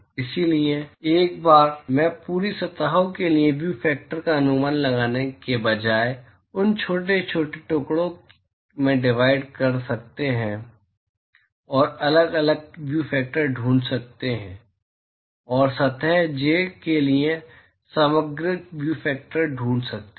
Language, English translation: Hindi, So, instead of estimating the view factor for the whole surfaces in one go you may want to divide them into small pieces and find individual view factors and find the overall view factor for surface j